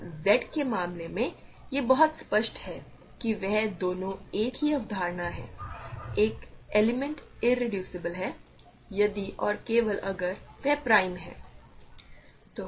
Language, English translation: Hindi, So, in the case of Z, it is very clear that they are both the same concept; an element is irreducible if and only if it is prime